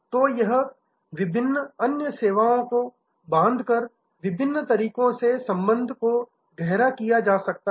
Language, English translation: Hindi, So, the relationship deepening can be done in various ways by bundling different other services